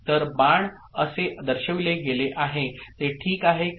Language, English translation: Marathi, So, that is how the arrow has been shown is it fine